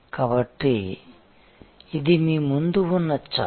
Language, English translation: Telugu, So, this is the chart in front of you